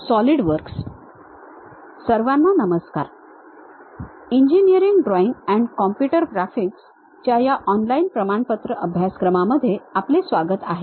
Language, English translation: Marathi, Welcome to our online NPTEL certification courses on Engineering Drawing and Computer Graphics